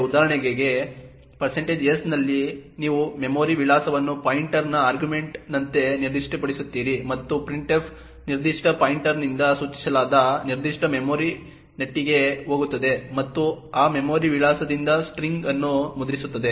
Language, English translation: Kannada, In % s for example you specify a memory address as the argument of a pointer as an argument and printf would go to that particular memory actress pointed to by that particular pointer and print the string from that memory address